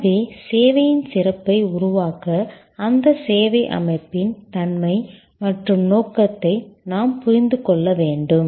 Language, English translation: Tamil, So, to summarize to create service excellence we have to understand the nature and objective of that service organization